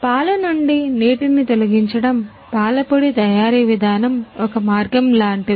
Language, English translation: Telugu, The process of milk powder manufacturing is like the way